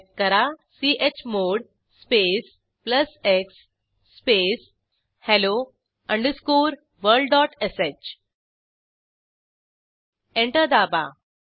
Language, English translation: Marathi, For this type chmod space plus x space hello underscore world dot sh and press Enter